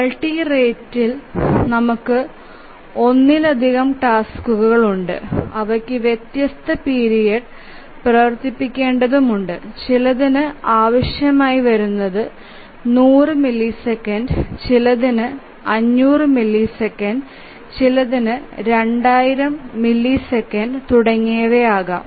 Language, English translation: Malayalam, periods so which are we called as multi rate operating system in multi rate we have multiple tasks which require running at different periods some may be requiring every 100 milliseconds, some may be 500 milliseconds, some may be 2,000 milliseconds, etc